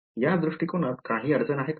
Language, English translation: Marathi, Does is there any problem with this approach